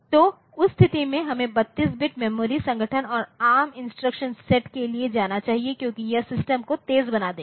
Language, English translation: Hindi, So, in that case we should go for 32 bit memory organization and go for ARM instruction set because the that will make the system fast